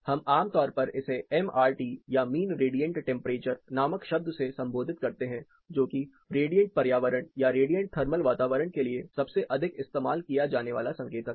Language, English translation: Hindi, We commonly refer the term called MRT or mean radiant temperature which is one of the most commonly used indicator for the radiant environment or radiant thermal environment